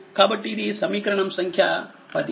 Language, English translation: Telugu, So, this is equation 10 right